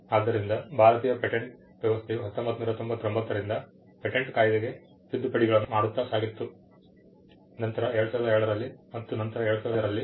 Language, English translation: Kannada, So, the Indian patent system went through a series of amendments to the patents act in 1999, followed in 2002 and later on in 2005